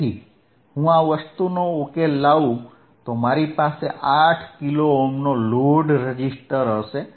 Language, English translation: Gujarati, So, if I iff I solve this thing, well I have I will have a load registersistor of 8 kilo Ohms